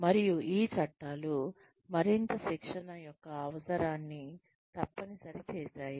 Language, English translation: Telugu, And, these laws, then mandates the need, for more training